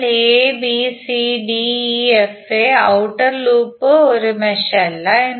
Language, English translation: Malayalam, Abcdefa so outer loop is not a mesh